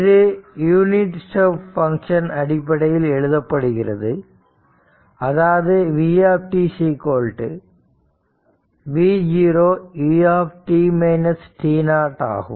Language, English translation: Tamil, It can be expressed in terms of unit step function as v t is equal to v 0 u t minus t 0